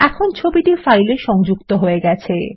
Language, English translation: Bengali, The picture is now linked to the file